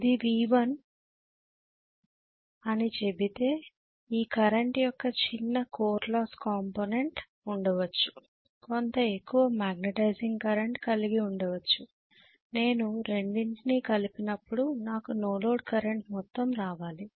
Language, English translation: Telugu, If I say this is V1, I may have a small core loss component of current, I may have somewhat larger magnetizing current when I add the two is should get actually whatever is the sum which is actually the no load current